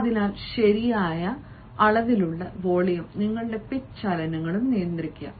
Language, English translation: Malayalam, so have a proper rate volume and have your pitch movements now